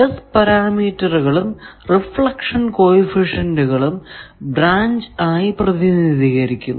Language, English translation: Malayalam, The S parameters and reflection coefficients are represented by branches